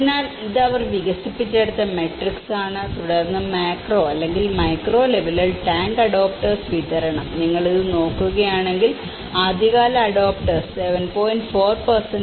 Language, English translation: Malayalam, So, this is the matrix they developed in and then, the tank adopters distribution at macro or the and the micro level, if you look at it the early adopters was at 7